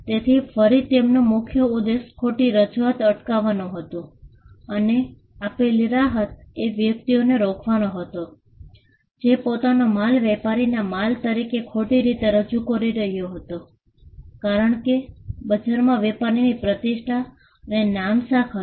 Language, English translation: Gujarati, So, again the focus was on preventing misrepresentation and the relief offered was to stop the person, who was misrepresenting his goods as the goods of the trader, because trader had a reputation and goodwill in the market